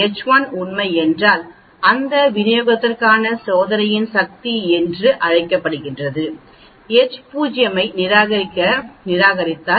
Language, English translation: Tamil, If H1 is true and you reject H0 that is called the power of the test for that distribution